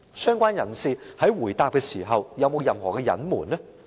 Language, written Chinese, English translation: Cantonese, 相關人士在回答時有否任何隱瞞？, Did the person concerned conceal any facts in reply?